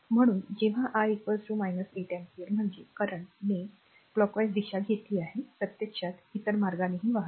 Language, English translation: Marathi, So, when i is equal to minus 8 ampere means , actually current actually we have taken clock wise direction actually current at flowing in a other way